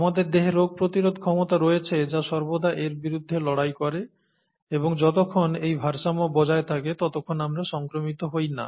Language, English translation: Bengali, Our body has immune system which fights against this all the time, and as long as this balance is maintained, we don’t get infection